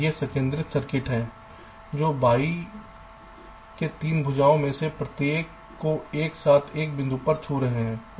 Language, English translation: Hindi, these are concentric circuits which are touch in one of the points along each of the three arms of the y